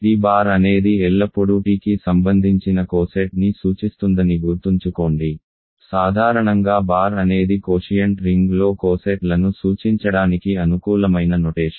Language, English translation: Telugu, Remember t bar is the t bar always represents the coset corresponding to t, in general bar is a convenient notation to denote cosets in a quotient ring